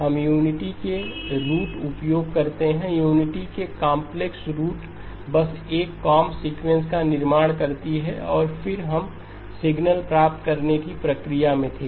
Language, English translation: Hindi, We use the roots of unity, complex roots of unity to just construct a comb sequence and then we were in the process of deriving signal